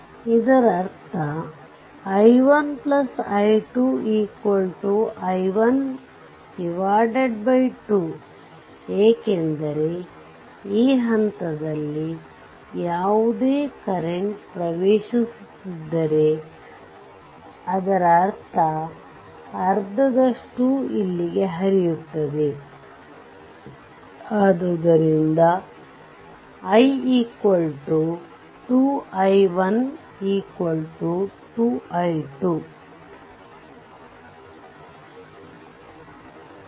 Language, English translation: Kannada, That means i 1 actually is equal to i 2 is equal to i by 2, because whatever current is entering at this point, it will half of the current of half of I will go here half of I will go here